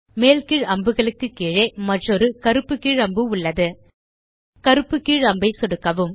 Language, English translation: Tamil, Below the up and down arrows is another black down arrow